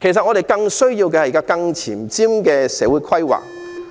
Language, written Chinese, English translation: Cantonese, 我們更需要的是更前瞻的社會規劃。, We need more forward - looking social planning all the more